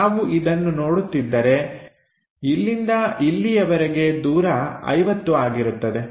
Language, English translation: Kannada, So, if we are seeing this because this distance to this distance is 50